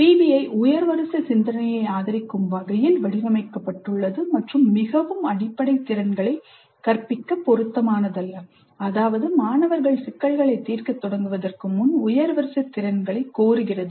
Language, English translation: Tamil, PBI is designed to support higher order thinking and is not appropriate for teaching very basic skills which means that before the students start with problems demanding higher order abilities the basic skills that are required must have been taught earlier if necessary using more direct approach to instruction